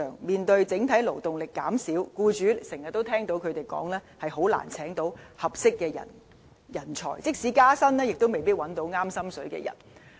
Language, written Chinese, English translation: Cantonese, 面對整體勞動力減少，我們經常聽到僱主說很難聘請合適的人才，即使加薪亦未必找到合適人選。, Against the background of a contracting workforce it is difficult for employers to hire the right staff even if they are willing to offer higher salaries